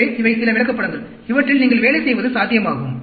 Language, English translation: Tamil, So, these are some of the charts that are also possible for you to work on